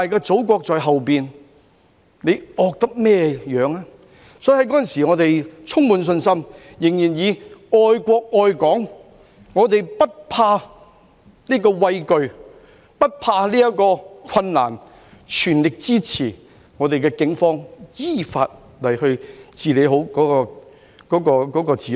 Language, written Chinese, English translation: Cantonese, 所以我們在當時充滿信心，仍然本着愛國愛港的精神，不畏懼，不怕難，全力支持我們的警方依法治理好治安。, Therefore even at that time we were brimming with confidence free from fear unafraid of difficulty and staying true to the spirit of love for our country and Hong Kong in fully supporting our Police to maintain proper law and order in accordance with law